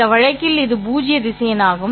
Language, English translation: Tamil, In this case, it happens to be a null vector